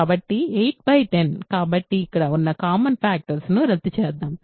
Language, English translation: Telugu, So, 8 by 10; so, this is let us cancel the common factors here